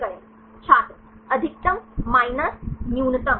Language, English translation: Hindi, Maximum minus minimum